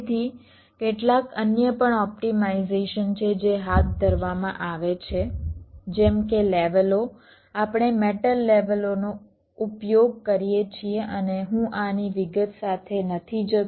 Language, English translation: Gujarati, so there is some other optimizations which are also carried out, like ah, like the layers, we use the metal layers and i am not going with detail of these